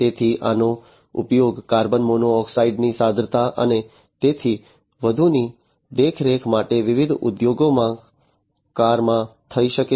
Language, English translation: Gujarati, So, this can be used in cars in different industries for monitoring the concentration of carbon monoxide and so on